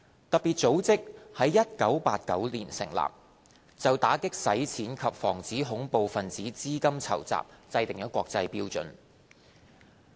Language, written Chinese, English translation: Cantonese, 特別組織在1989年成立，就打擊洗錢及防止恐怖分子資金籌集制訂國際標準。, FATF established in 1989 sets international standards on combating money laundering and preventing terrorist financing